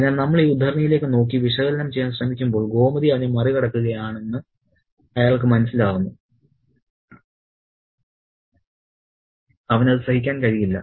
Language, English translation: Malayalam, So, when we look at this extract and try to analyze it, to begin with he realizes that Gomati is outsmarting him and he cannot take it